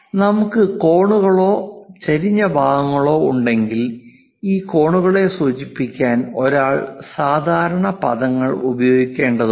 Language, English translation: Malayalam, If we have angles inclined portions, again one has to use a standard terminology to denote this angles